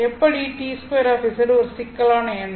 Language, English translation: Tamil, How is t squared z a complex number